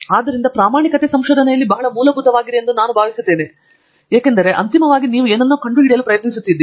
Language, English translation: Kannada, So, I think honesty is very fundamental in research because ultimately you are trying to discover something